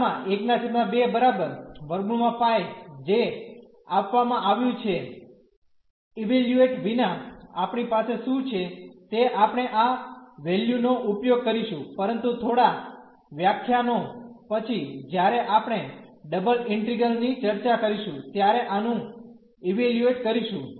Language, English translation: Gujarati, So, gamma half is square root pi what provided we have just without evaluation we have use this value, but after few lectures we will evaluate this when discussing the double integrals